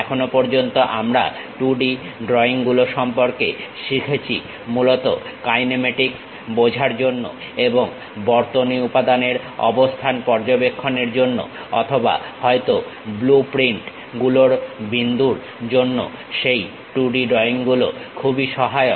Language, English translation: Bengali, Till now we have learned about 2D drawings, mainly those 2D drawings are helpful in terms of understanding kinematics and to check position of circuit elements or perhaps for the point of blueprints